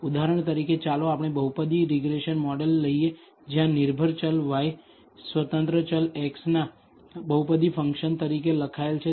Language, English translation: Gujarati, For example, let us take a polynomial regression model where the dependent variable y is written as a polynomial function of the independent variable x